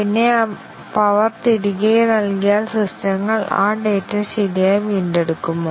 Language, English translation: Malayalam, And then, once the power is given back, does it the systems recover those data properly